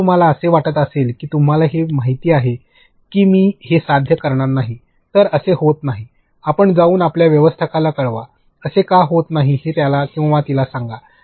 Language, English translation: Marathi, If you feel that no you know I am not going to achieve this, this is not happening; you go and report to your manager, tell him or her why this is not happening